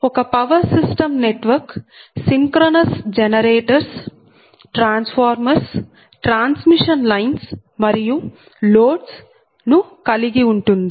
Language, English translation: Telugu, so a power system network actually comprises your synchronous generators, a transformers, transmission lines and loads